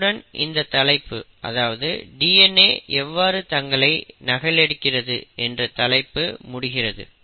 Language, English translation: Tamil, So with that we have covered how DNA replicates itself